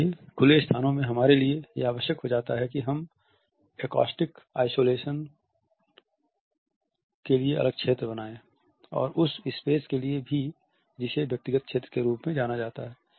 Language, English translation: Hindi, In the open spaces therefore, it becomes necessary for us to create areas for acoustic isolation and also for the space which should be known as the individual territory